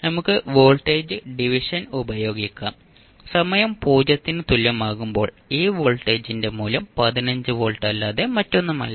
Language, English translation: Malayalam, You can simply use the voltage division and you will come to know that the value of this voltage at time t is equal to 0 is nothing but 15 volt